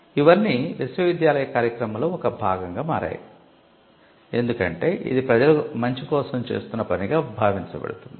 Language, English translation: Telugu, Now, all these became a part of the university function because, it was seen as a something that was done for the public good